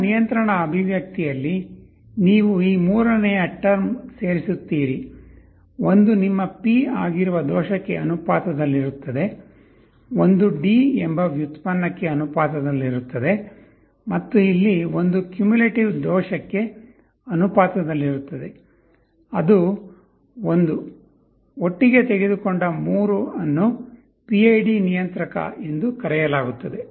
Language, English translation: Kannada, You add this third term in your control expression, one will be proportional to the error that is your P, one will be proportional to the derivative that is D, and here one will be the proportional to the cumulative error that is I; the 3 taken together is called PID controller